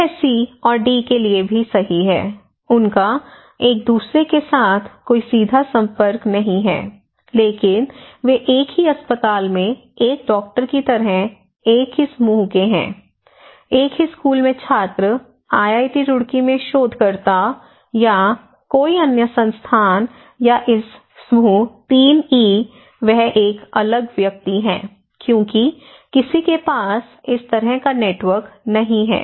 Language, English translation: Hindi, It is also true for C and D, they do not have any direct contact with each other, but they belong to one group like a doctor in a same hospital, students in the same school, researchers in IIT Roorkee or any other Institute okay, or this group 3E, he is an isolated person because no one has this kind of network, okay